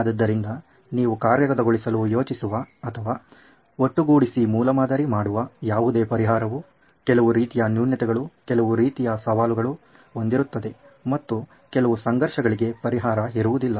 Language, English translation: Kannada, So any solution that you think of implement or even are prototyping to put together will have some kind of flaw, some kind of challenge and that is the conflict even if you don’t have a solution